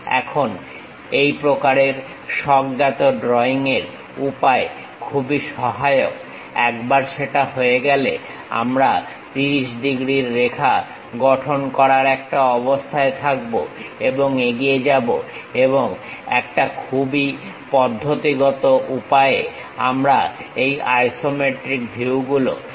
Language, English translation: Bengali, Now this kind of intuitive way of drawing is very helpful, once that is done we will be in a position to construct 30 degrees lines and go ahead and in a very systematic way, we will construct this isometric views